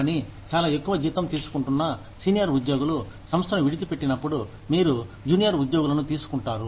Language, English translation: Telugu, But, when senior employees, who are drawing a very high salary, leave the organization, you hire junior employees